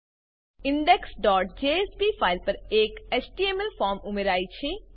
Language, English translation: Gujarati, An HTML form is added to the index.jsp file